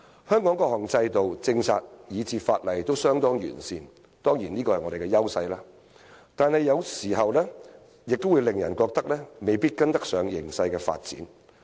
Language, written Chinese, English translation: Cantonese, 香港的各項制度、政策以至法例都相當完善，這當然是我們的優勢，但有時卻令人感到未必跟得上形勢的發展。, Hong Kong has fairly comprehensive regimes policies and laws which are certainly our advantages but sometimes people do feel that these may have failed to keep up with the development of the situation